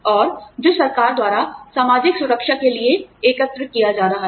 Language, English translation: Hindi, And, that is collected by the government, towards social security